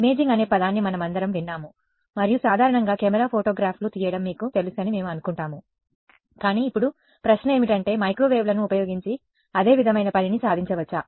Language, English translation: Telugu, We have all heard the word imaging and usually we think of you know a camera taking photographs, but now the question is can the same thing sort of be achieved using microwaves